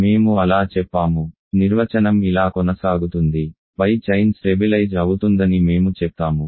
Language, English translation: Telugu, We say that so, the definition continues, we say that the above chain stabilizes